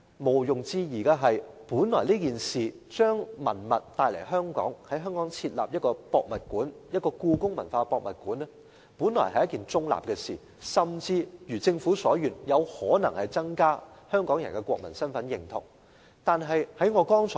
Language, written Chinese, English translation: Cantonese, 毋庸置疑的是，在香港設立一個故宮館、把文物帶來香港本來是一件中立的事，甚至如政府所願，有可能增加香港人的國民身份認同。, Undoubtedly the building of HKPM to bring relics to Hong Kong is originally a neutral incident and it may even enhance Hong Kong peoples sense of national identity as so wished by the Government